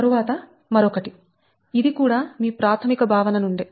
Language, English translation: Telugu, this is also from your basic concept